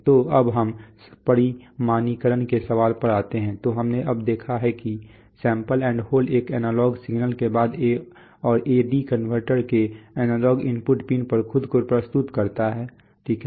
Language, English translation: Hindi, So next let us come to the question of quantization, so we have now seen that an analog signal after sample and hold present itself at the analog input pin of the A/D converter, right